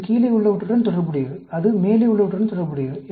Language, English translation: Tamil, This one corresponds to the lower one and that one corresponds to the higher one